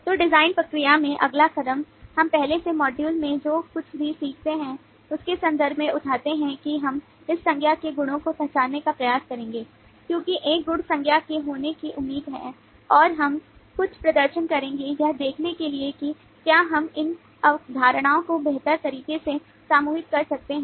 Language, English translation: Hindi, so the next step in the design process: we pick up in terms of the what we learnt in the earlier module, that we will try to identify the attributes out of this nouns, because an attribute is expected to be a noun, and we will perform some structural clustering to see if we can group this concepts better